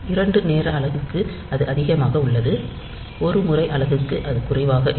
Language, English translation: Tamil, For two time unit, it is high; then for one time unit, it is low